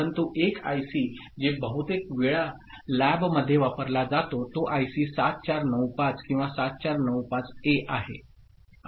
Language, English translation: Marathi, But one IC that often is used in the lab is IC 7495 or 7495A